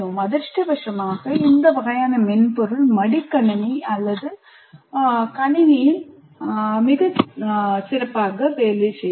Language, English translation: Tamil, Unfortunately, this kind of software will work on a laptop or a PC